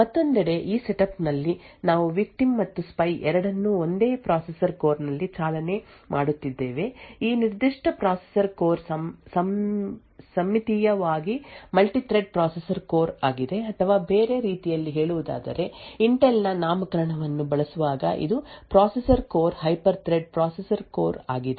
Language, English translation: Kannada, In this setup on the other hand we have both the victim and the spy running on the same processor core, the assumption over here is that this particular processor core is a symmetrically multi threaded processor core or in other words when using the Intel’s nomenclature this processor core is a hyper threaded processor core